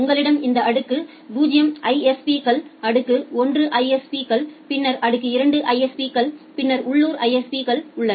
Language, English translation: Tamil, You have this tier 0 ISPs, tier 1 ISPs, then tier 2 ISPs, then the local ISPs